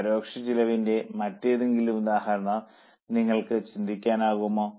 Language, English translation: Malayalam, Can you think of any other example of indirect cost